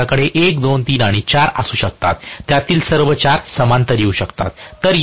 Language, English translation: Marathi, I can have 1, 2, 3 and 4; all 4 of them can come in parallel